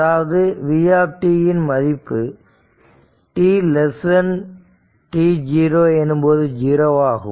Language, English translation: Tamil, So, in that case v t will be 0 right